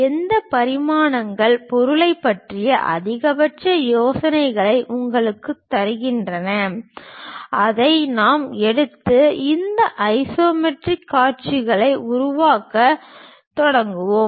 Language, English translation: Tamil, Whatever the dimensions give you maximum maximum idea about the object that one we will take it and start constructing these isometric views